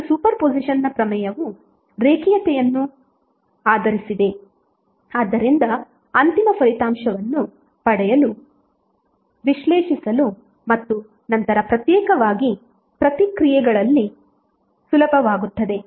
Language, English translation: Kannada, And super position theorem is based on linearity, so it is easier to analyze and then at the responses individually to get the final outcome